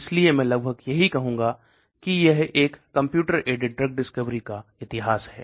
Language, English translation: Hindi, So this I would say approximately the history of a Computer aided drug discovery